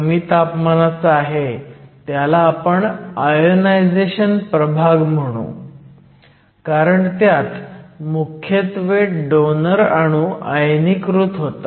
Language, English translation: Marathi, The low temperature one we call the ionization regime, because it is dominated by ionization of the donor atoms